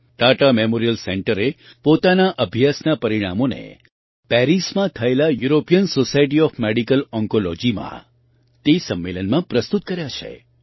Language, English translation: Gujarati, The Tata Memorial Center has presented the results of its study at the European Society of Medical Oncology conference in Paris